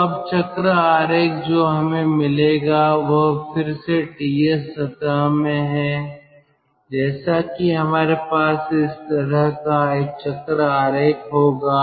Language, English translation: Hindi, so now the cycle diagram which we will get is like this: again in ts plane we will have this kind of a cycle diagram